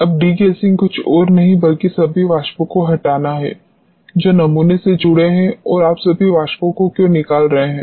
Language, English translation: Hindi, Now, degassing is nothing, but removing all the vapors which are associated with the sample and why you are removing all the vapors